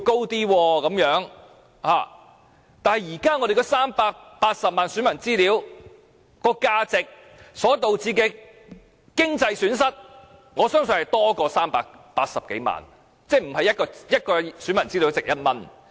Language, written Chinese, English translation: Cantonese, 但是，現時380萬名選民個人資料的價值，以及所導致的經濟損失，我相信是多於380多萬元，即不是一位選民的資料只值1元。, Now I do believe that the personal information of 3.8 million registered voters and the resultant economic losses are worth much more than 3.8 million . In other words the registration information of one voter is worth more than just one dollar